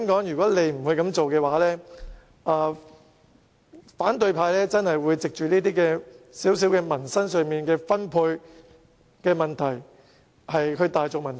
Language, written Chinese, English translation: Cantonese, 如果不這樣做的話，反對派真的會藉着這些民生小問題，例如分配，大造文章。, Should the Government fail to do so the opposition will really make a big fuss of these trivial livelihood issues such as distribution